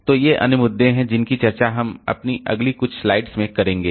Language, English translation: Hindi, So, these are the other issues that we will discuss in our next few slides